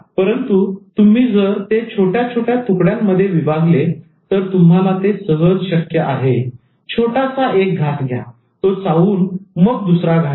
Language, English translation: Marathi, But if you could break that into pieces and then if you are able to take a small bite, chew it and then take the next bite